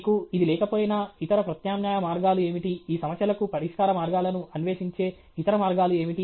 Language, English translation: Telugu, Even if you don’t have this, what are the other alternate ways, what are the other ways of seeking solutions to these problems